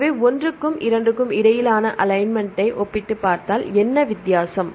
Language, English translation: Tamil, So, if you compare the alignment between one and 2 what is the difference